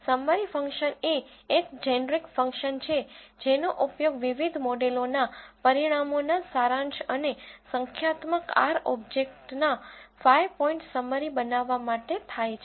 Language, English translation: Gujarati, Summary function is a generic function used to produce result summaries of the results of various models and 5 point summaries of numeric r objects